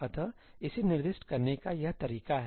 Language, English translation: Hindi, this is the way to specify it